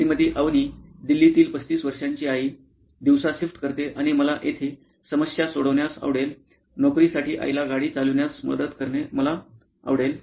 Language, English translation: Marathi, Mrs Avni, 35 year old mom in Delhi works during the day and in the part where I am interested in to solve a problem to help her out in mom driving to work